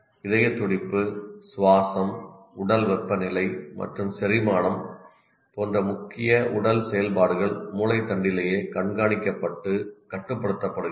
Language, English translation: Tamil, Vital body functions such as heartbeat, respiration, body temperature and digestion are monitored and controlled right in the brain stem itself